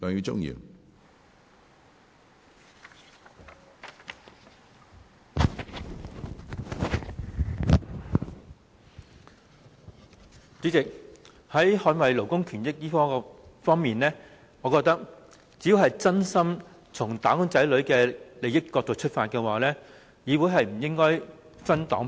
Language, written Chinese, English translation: Cantonese, 主席，就捍衞勞工權益而言，我認為只要是真心從"打工仔女"的利益出發，議會是不應該分黨派的。, President insofar as the protection of labour rights is concerned I think the legislature should not be divided by political affiliations if Members are sincere in working for the benefits of wage earners